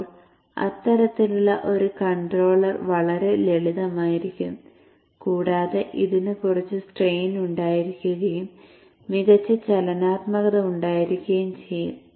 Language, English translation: Malayalam, Then such a controller will be much simpler and it will also have less strain and it will also have better dynamics